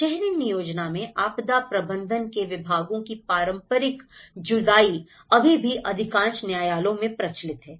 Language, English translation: Hindi, Traditional separation of the departments of disaster management in urban planning is still prevalent in most jurisdictions